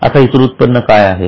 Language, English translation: Marathi, Now what is other income